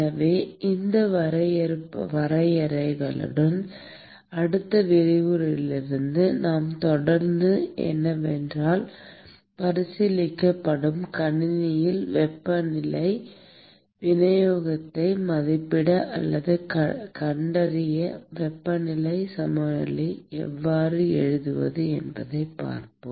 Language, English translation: Tamil, So, with these definitions what we will start from the next lecture is looking at how to write heat balance in order to estimate or find the temperature distribution in the system that is being considered